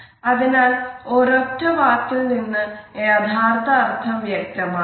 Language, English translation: Malayalam, So, if we are using a single word the meaning does not become clear